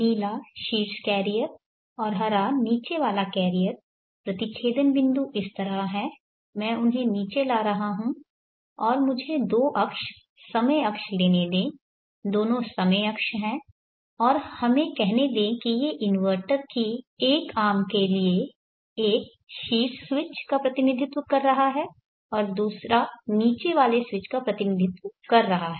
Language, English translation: Hindi, The blue the top carrier and the green the bottom carrier the intersection points are like this and dropping them down and let me have two axes time axes both are time axes and let say one is representing for the top space and other is representing for the bottom space of one or more inverter so let us say this is the A of the inverter the top switch the bottom switch